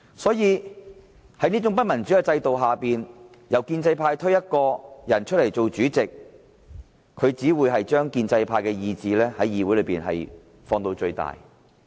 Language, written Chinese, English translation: Cantonese, 在這種不民主的制度下，由建制派推選一位議員擔任主席，只會把建制派的意志在議會中放到最大。, Under this undemocratic system the pro - establishment camp can amplify its will to the greatest extent by selecting the President among their Members